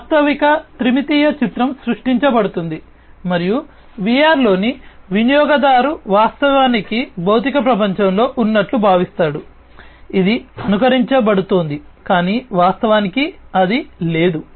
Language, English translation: Telugu, A realistic three dimensional image is created and the user in VR feels that the user is actually present in the physical world, which is being simulated, but is actually not being present